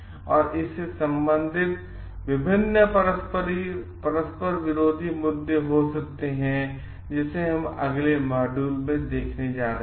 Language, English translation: Hindi, And there could be various conflicting issues related to that which we are going to see in the next module